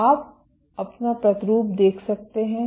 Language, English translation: Hindi, So, you can watch your sample